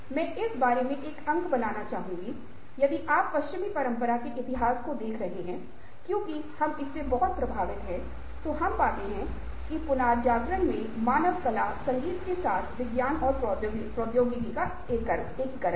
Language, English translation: Hindi, i would like to point, make a point about this: if you are looking at the history of western tradition because we are very strongly influenced by that ah we find that ah, in the renaissance there was an integration of science and technology with humanities, art, music and so on and so forth